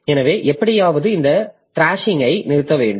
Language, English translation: Tamil, So, somehow we have to stop this thrashing